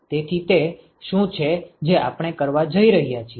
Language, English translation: Gujarati, So, that is what we are going to do now